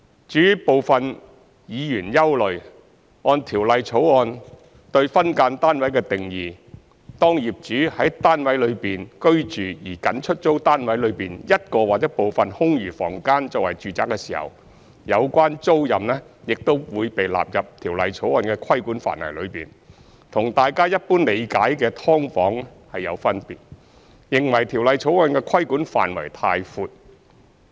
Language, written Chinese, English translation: Cantonese, 至於部分議員憂慮，按《條例草案》對"分間單位"的定義，當業主在單位內居住而僅出租單位內一個或部分空餘房間作為住宅時，有關租賃亦會被納入《條例草案》的規管範圍內，與大眾一般理解的"劏房"有分別，認為《條例草案》的規管範圍太闊。, Some Members are concerned that the Bill according to its definition of SDUs may catch tenancies where the landlord resides in a unit and only lets a room or some of the remaining rooms in the unit as a dwelling which is different from the general understanding of SDUs . They consider that the scope of regulation is too wide